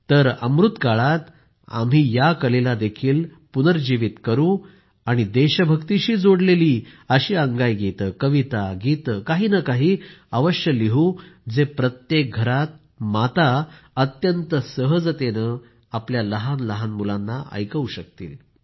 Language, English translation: Marathi, So why don't we, in the Amritkaal period, revive this art also and write lullabies pertaining to patriotism, write poems, songs, something or the other which can be easily recited by mothers in every home to their little children